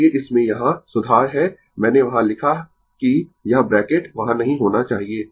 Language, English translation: Hindi, So, in this here, correction is I I wrote there that this bracket should not be there